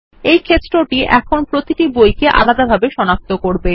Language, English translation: Bengali, This field now will uniquely identify each book